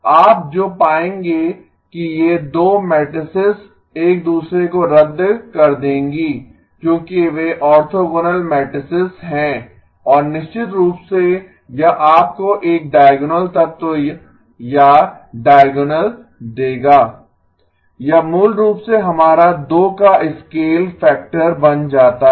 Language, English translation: Hindi, What you will find is that these 2 matrices will cancel each other because they are orthogonal matrices and of course it will give you a diagonal element or diagonal, it basically becomes our scale factor of 2